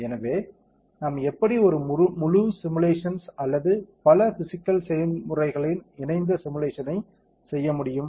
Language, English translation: Tamil, So, how can we do a wholesome simulation or a coupled simulation of multiple physical processes